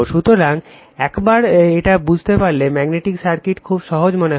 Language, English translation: Bengali, So, once you understand this, you will find magnetic circuit is very simple right